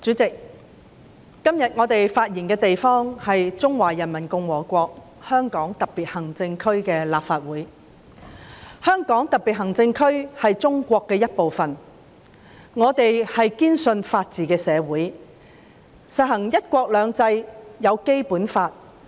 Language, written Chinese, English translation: Cantonese, 主席，今天我們發言的地方是中華人民共和國香港特別行政區的立法會，香港特別行政區是中國的一部分，我們是堅信法治的社會，實行"一國兩制"，制定了《基本法》。, President today the venue where we are speaking is the Legislative Council of the Hong Kong Special Administrative Region of the Peoples Republic of China . Hong Kong is a part of China . We steadfastly believe in a society that upholds the rule of law implementing one country two systems and for which the Basic Law is enacted